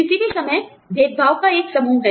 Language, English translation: Hindi, Anytime, there is a set of discrimination